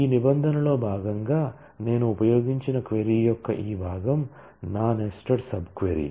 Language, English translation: Telugu, this part of the query which I used as a part of the where clause is my nested sub query